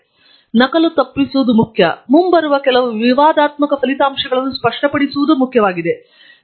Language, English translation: Kannada, So, it is important to avoid duplication; and, it is also important to clarify certain controversial results that may be coming up